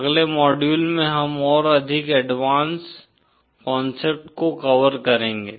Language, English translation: Hindi, In the next module we shall be further covering the more advanced concepts